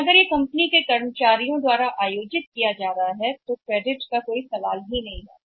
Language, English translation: Hindi, But if it is being organised by the company employees there is no question of credit